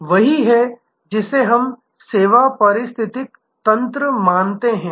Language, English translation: Hindi, So, this is what we are meaning by service ecosystem